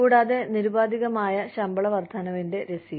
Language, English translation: Malayalam, Also, receipt of unconditional pay raises